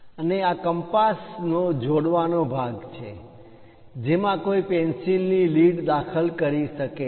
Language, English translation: Gujarati, And this is a joining part of compass, which one can insert through which lead can be used